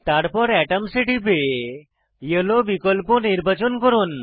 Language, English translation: Bengali, Then select Atoms and click on Yellow options